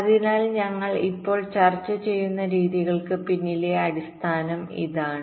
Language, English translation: Malayalam, so this is the basic idea behind the methods that we shall be discussing now